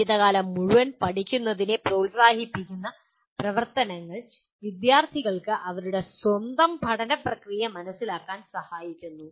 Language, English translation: Malayalam, Activities that promote life long learning include helping students to understand their own learning process